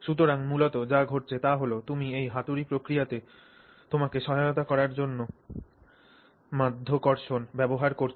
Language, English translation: Bengali, So, what is basically happening is you are essentially using gravity to assist you in this hammering process